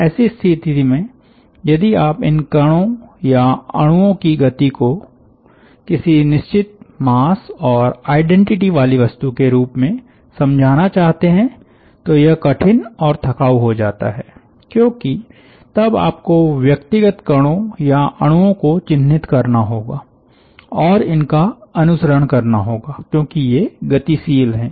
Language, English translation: Hindi, in such a situation, if you want to track the motion of these particles or individual molecules as something of fixed mass and identity becomes difficult and t d s because then you have to put a tag on individual entities and follow it as it is moving